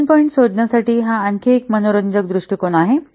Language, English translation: Marathi, This is also another interesting approach to find out the function points